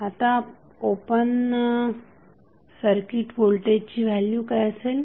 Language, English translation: Marathi, Now, what would be the value of open circuit voltage